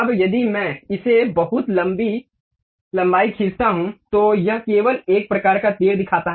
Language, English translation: Hindi, Now, if I draw it very long length, then it shows only one kind of arrow